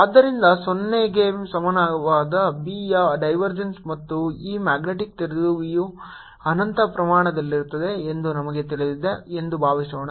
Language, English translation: Kannada, so suppose we know that divergence of b equal to zero and this magnetic dipole is of infinite extent